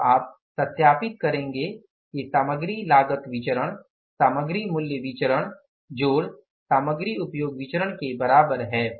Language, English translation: Hindi, You verify now the material cost variance is equal to material price variance plus material usage variance